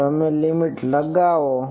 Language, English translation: Gujarati, Now, you enforce the limit